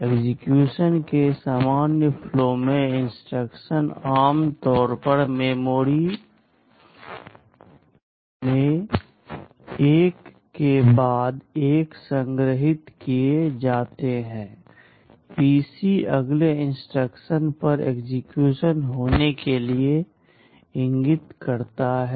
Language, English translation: Hindi, In the normal flow of execution; the instructions are normally stored one after the other in memory, PC points to the next instruction to be executed